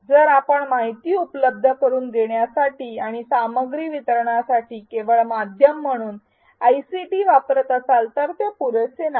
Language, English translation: Marathi, If we are using the ICT only as a medium to make information available and for content delivery then that is not enough